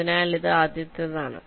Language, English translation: Malayalam, so this is the first one